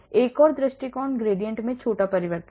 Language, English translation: Hindi, Another approach is small change in the gradient